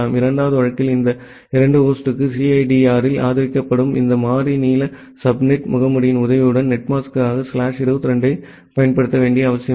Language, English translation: Tamil, Then in the second case, for these two host, it is not required that you have to use slash 22 as the netmask with the help of this variable length subnet mask, which is being supported in CIDR